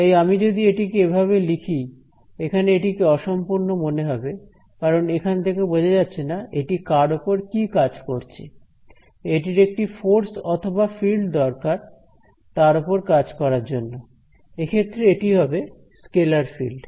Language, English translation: Bengali, So, if I write this over here it is incomplete in the sense that it does not tell me what it is doing on anything, it needs a force to act or a field to act on and that field in this case is a scalar field